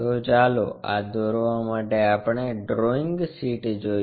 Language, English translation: Gujarati, So, let us look at our drawing sheet for this construction